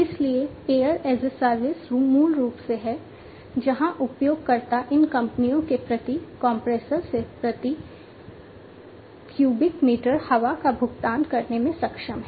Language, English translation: Hindi, So, air as a service is basically where users are able to pay per cubic meter of air from these companies own compressors, right